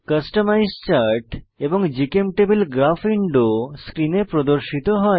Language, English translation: Bengali, Customize Chart window and GChemTable Graph window appear on the screen